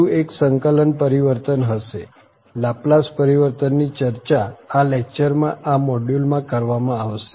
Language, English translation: Gujarati, There will be one more integral transform, the Laplace transform will be discussing in this lecture in this module